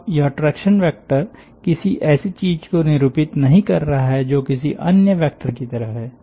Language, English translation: Hindi, now this traction vector, therefore, is not denoting something which is ordinarily like any other vector